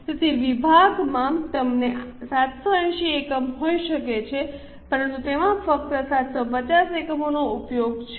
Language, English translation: Gujarati, So, department could have used 7 units but they have used only 750 units